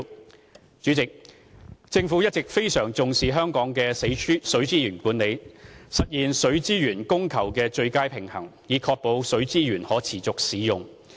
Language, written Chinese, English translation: Cantonese, 代理主席，政府一直非常重視香港的水資源管理，致力實現水資源供求的最佳平衡，以確保水資源可持續使用。, Deputy President the Government has always attached great importance to the management of water resources in Hong Kong striving for the best balance between supply and demand so as to ensure a sustainable manner in the use of water resources